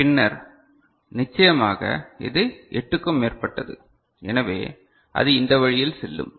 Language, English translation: Tamil, So, then of course, it is more than 8 so, it go this way